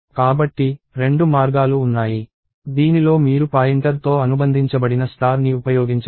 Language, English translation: Telugu, So, there are two ways, in which you can use the star associated with the pointer